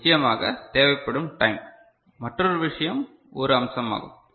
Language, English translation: Tamil, Of course, time required another thing is one aspect